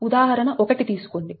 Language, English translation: Telugu, so this is example one